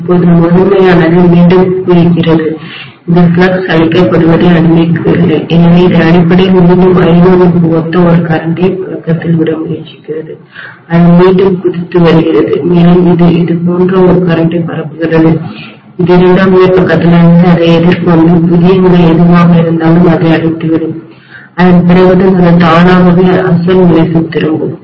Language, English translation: Tamil, Now the primary is bouncing back, it is not allowing the flux to be killed, so it is essentially again trying to circulate a current which is corresponding to I1, it is bouncing back and it will circulate such a current that it will nullify whatever is the new position it has faced from the secondary side, only then it will return back to the original condition itself